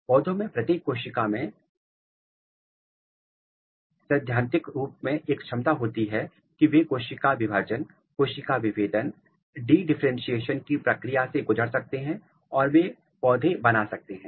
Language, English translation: Hindi, Every cell in the plants in principle they have a capability that they can undergo the process of cell division cell differentiation de differentiation anything and they can make a kind of plant